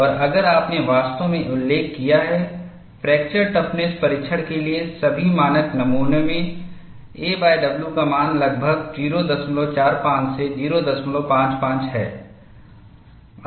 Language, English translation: Hindi, And if you have really noted, in all the standard specimens for fracture toughness testing, the value of a by w is around 0